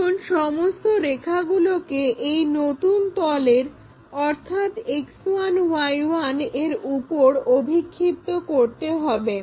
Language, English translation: Bengali, Now, project all these lines on to this new plane which we call auxiliary plane X 1, Y 1 plane